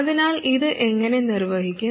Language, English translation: Malayalam, So how do we accomplish this